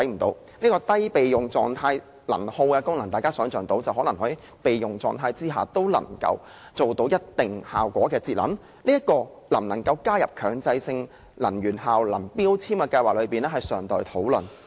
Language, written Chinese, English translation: Cantonese, "低備用狀態能耗"功能意味電器在備用狀態下，也能夠做到一定的節能效果，這能否納入強制性標籤計劃中尚待討論。, Low standby power means electrical appliances can still achieve energy conservation in some measure even if they are in standby mode . Whether such appliances can be included in MEELS has yet to be discussed